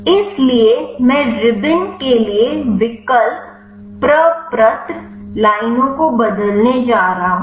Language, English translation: Hindi, So, I am going to change the option form lines to ribbon